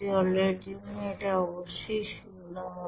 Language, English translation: Bengali, For water it will be zero of course